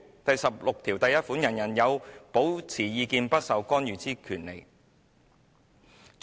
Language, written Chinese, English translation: Cantonese, "第十六條第一款訂明："人人有保持意見不受干預之權利。, Article 161 stipulates Everyone shall have the right to hold opinions without interference